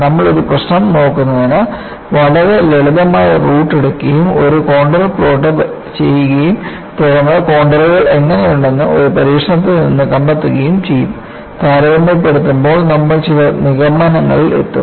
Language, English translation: Malayalam, We would take a very simple route of looking at problem and plot a contour, and then find out from an experiment how the contours look like; by comparison, we will arrive at certain conclusions